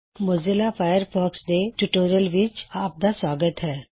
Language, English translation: Punjabi, Welcome to the Spoken tutorial on Introduction to Mozilla Firefox